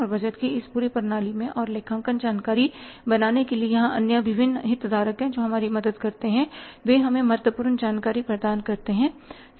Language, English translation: Hindi, And in this entire system of the budgeting and creating the accounting information here the other different stakeholders they help us, they provide us that in important information